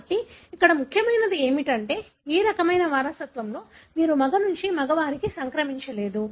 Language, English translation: Telugu, So, what is important here is that in this kind of inheritance you will not find a male to male transmission